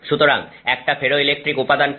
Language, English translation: Bengali, So, what is a ferroelectric material